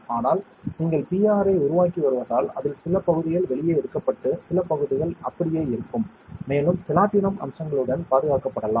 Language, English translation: Tamil, But because you are developing the PR some part of it can be taken out and some part still remain and the platinum can be preserved with the features